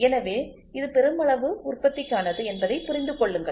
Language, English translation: Tamil, So, please understand this is for mass production